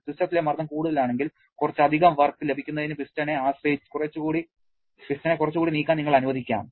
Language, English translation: Malayalam, If the system pressure is higher, you can allow the piston to move a bit more to get some additional work